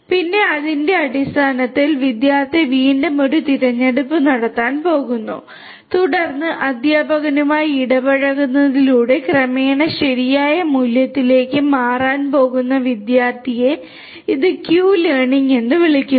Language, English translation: Malayalam, And, then based on that the student is again going to make a choice and then the student who is going to gradually converge towards the correct value by interacting with the teacher this is also known as Q learning